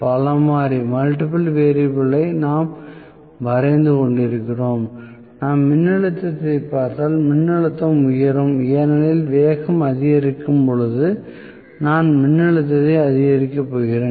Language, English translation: Tamil, So, multiple variable we are drawing if I look at the voltage the voltage will rise like this, because as the speed rises I am going to increase the voltage